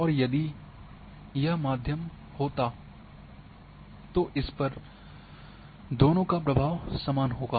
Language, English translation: Hindi, And if it would have been middle then both will have the same influence